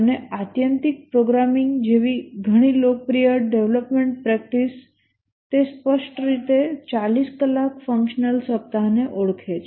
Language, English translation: Gujarati, And many of the popular development practices like the extreme programming here it clearly identifies 40 hour working week